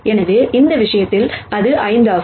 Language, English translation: Tamil, So, in this case it is 5